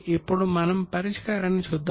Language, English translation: Telugu, Are you ready to see the solution